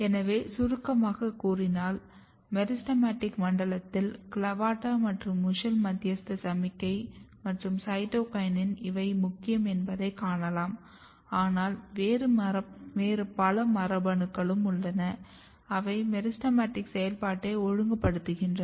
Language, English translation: Tamil, So, you can see that in the meristematic zone, where you can see CLAVATA and WUSCHEL mediated signaling and cytokinin these are the key, but there are many other genes as well they are regulating the meristematic activity